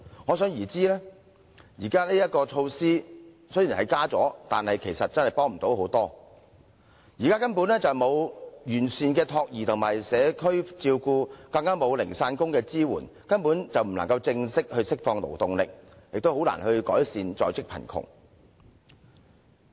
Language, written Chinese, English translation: Cantonese, 可想而知，新增名額其實幫助不大。現時根本沒有完善的託兒及社區照顧政策，更沒有零散工的支援，所以無法真正釋放勞動力，亦難以改善在職貧窮。, It can thus be seen that the additional places do not offer much help . Since there is currently no comprehensive policy on child care and community care nor is there any support for casual workers the initiatives will not be able to genuinely unleash labour force and can hardly improve the situation of the working poor